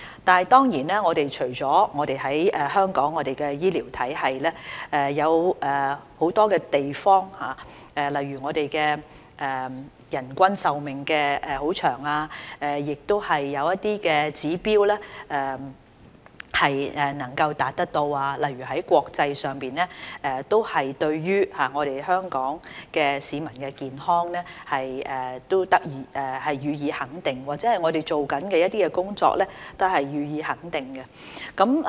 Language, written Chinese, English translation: Cantonese, 當然，除了香港的醫療體系，有很多地方例如人均壽命長，亦有一些指標能夠達到，國際上對於香港市民的健康予以肯定，對我們正在做的工作也予以肯定。, Certainly apart from our healthcare system we have also achieved some targets in many areas such as a long life expectancy and gained international recognition for the health of Hong Kong people and our present work